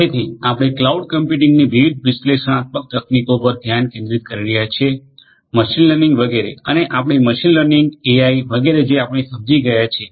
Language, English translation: Gujarati, So, we are focusing on cloud computing different different you know analytic techniques including machine learning etcetera and also we have understood machine learning AI etcetera we have understood